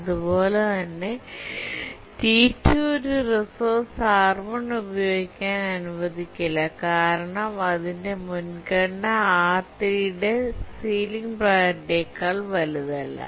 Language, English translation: Malayalam, And similarly T2 will not be allowed to use a resource R1 because its priority is not greater than the ceiling priority of R3